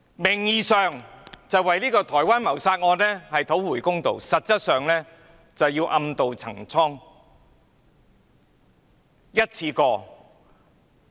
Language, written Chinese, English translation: Cantonese, 名義上是為台灣的謀殺案討回公道，實際上是暗渡陳倉。, The Government is pursuing justice for the homicide case in Taiwan in name but actually taking a circuitous route of achieving an ulterior motive